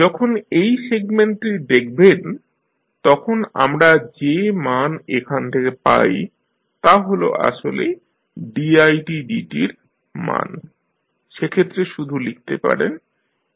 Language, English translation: Bengali, So, when you see this particular segment the value which you get from here is actually the value of i dot, so you can simply write S into i s here